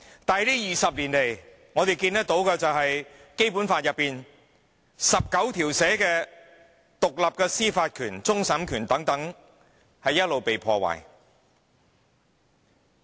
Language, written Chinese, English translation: Cantonese, 但是這20年來，我們看到《基本法》第十九條賦予香港的獨立司法權、終審權等一直被破壞。, However in the past 20 years we could see that the independent judicial power and power of final adjudication conferred on Hong Kong by Article 19 of the Basic Law were being destroyed